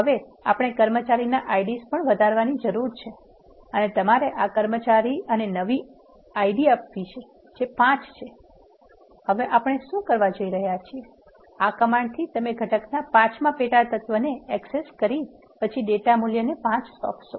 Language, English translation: Gujarati, Now, we need to also increase the employee ID and you have to give this employee and new ID which is 5, what we are doing now, in this command is your accessing the fifth sub element of the level one component and then assigning data value of 5